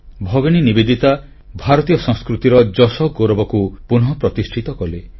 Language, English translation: Odia, Bhagini Nivedita ji revived the dignity and pride of Indian culture